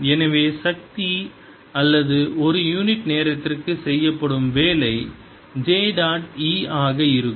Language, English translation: Tamil, so power or the work done per unit time is going to be j dot e